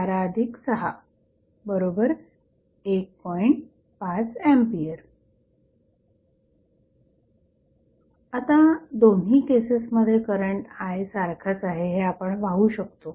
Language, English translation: Marathi, So, we can see now, in both of the cases the current I is same